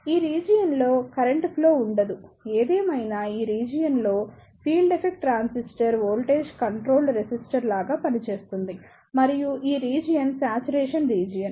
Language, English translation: Telugu, In this region, there will not be any flow of current; however, in this region the field effect transistor will act like a voltage controlled resistor and this region is the saturation region